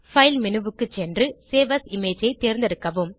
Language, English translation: Tamil, Go to File menu, select Save as image